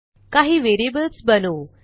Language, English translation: Marathi, Now let us create a few variables